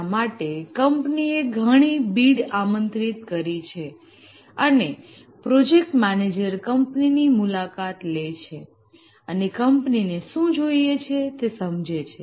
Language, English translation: Gujarati, And for this, it has invited bids and the project managers, they visit the company and understand what the company needs